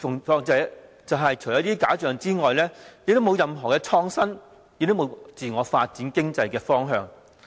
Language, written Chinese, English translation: Cantonese, 但是，除了這些假象之外，卻沒有任何創新或自我發展的方向。, Mirages aside it offers no direction for either innovative development or self - development